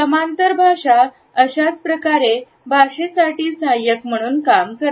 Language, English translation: Marathi, Paralanguage similarly is everything which is in auxiliary to language